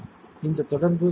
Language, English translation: Tamil, And this was the contact right